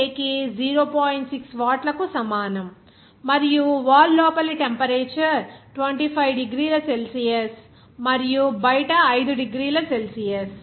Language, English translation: Telugu, 6 watt per meter K and the temperature on the inside of the wall is 25 degrees Celsius and that on the outside is 5 degree Celsius